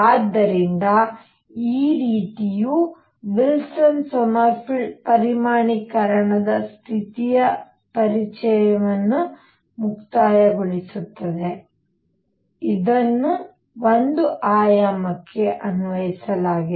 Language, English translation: Kannada, So, this sort of concludes the introduction to Wilson Sommerfeld quantization condition which has been applied to one dimension